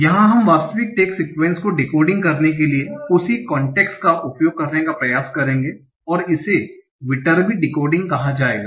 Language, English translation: Hindi, So we will try to use a similar concept here for decoding the actual tax sequence and this will be called Viterbi decoding